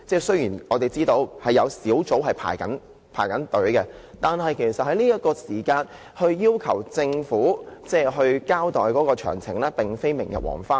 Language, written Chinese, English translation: Cantonese, 雖然我們知道有關的小組委員會已在輪候名單上，但在這刻要求政府交代事件詳情並非明日黃花。, Although we know that the relevant subcommittee has already been placed on the waiting list the present request for a detailed account to be given by the Government is not a thing of the past